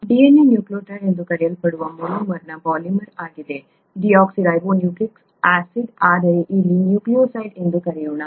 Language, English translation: Kannada, DNA is a polymer of the monomer called a nucleotide; deoxynucleotide; but let’s call it nucleotide here